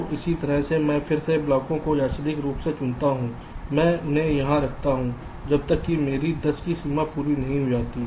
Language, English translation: Hindi, so in a similar way, i again pick the blocks randomly, i place them here until my limit of ten is again reached